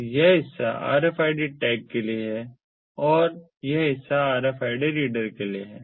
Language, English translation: Hindi, so this part is for the rfid tag and this part is for the rfid reader, the